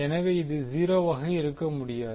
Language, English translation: Tamil, So this cannot be 0, this is again cannot be